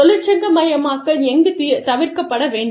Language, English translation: Tamil, And, where unionization should be avoided